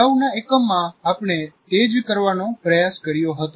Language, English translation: Gujarati, That's what we tried to do in the earlier unit